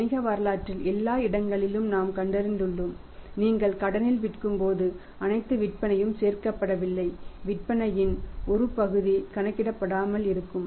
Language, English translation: Tamil, And everywhere we have found it in the business history that when you sell on the credit all the sales are not collected that part of the sales are remain uncollectible